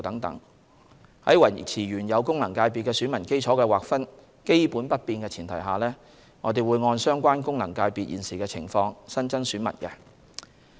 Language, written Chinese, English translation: Cantonese, 在維持原有功能界別的選民基礎的劃分基本不變的前提下，我們會按相關功能界別現時的情況新增選民。, On the premise of basically maintaining the original delineation of the electorate of the FCs we will add new electors in the light of the prevailing situation of the FCs concerned